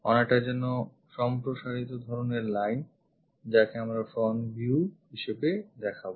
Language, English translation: Bengali, More like an extension kind of line we will show this is for front view